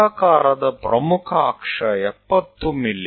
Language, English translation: Kannada, Ellipse with major axis 70 mm